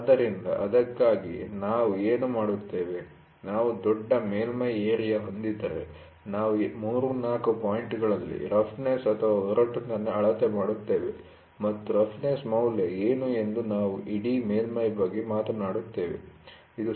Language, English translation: Kannada, So, that is why what we do, if we have a large surface area, we measure roughness at 3, 4 points and we talk about the entire surface what is the roughness value, generally have a pattern and are oriented in a particular direction